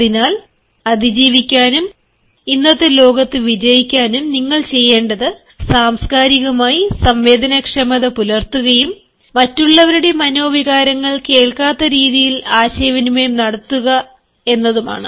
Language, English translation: Malayalam, so in order to survive and in order to succeed in the present day world, all you need to do is to be culturally sensitive and communicate in a manner that other sentiments are not heard